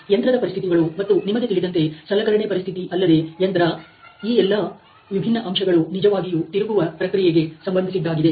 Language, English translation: Kannada, The machining conditions and the you know the tool conditions as well as the machine tool; these all different aspects are really related to the turning process